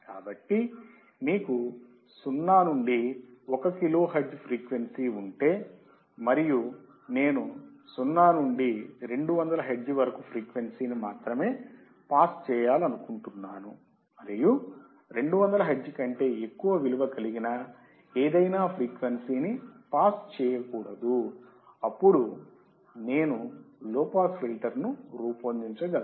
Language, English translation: Telugu, So, if you have 0 to 1 kilohertz as frequency, and I want to pass only frequency from 0 to 200 hertz and any frequency about 200 hertz should not be passed, then I can design a low pass filter